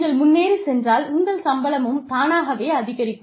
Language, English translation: Tamil, You move ahead, and your salary, automatically increases